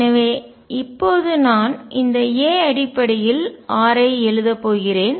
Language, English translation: Tamil, So now I am going to write r in terms of this a